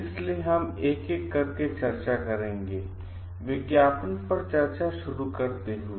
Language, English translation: Hindi, So, we will discuss each one by one starting with advertising